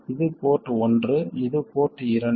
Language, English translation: Tamil, This is port 1 and this is port 2